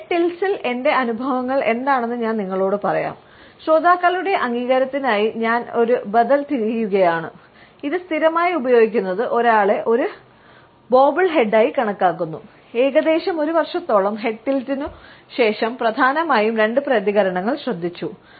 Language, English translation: Malayalam, Let me tell you what my experiences with the head tilt are; I was looking for an alternative for the listeners nod, using it perpetually makes one look like a bobble head and after approximately one year of head tilting and noticed mainly two reactions